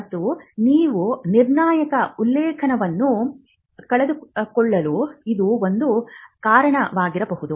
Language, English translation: Kannada, And that could be a reason why you miss out a critical reference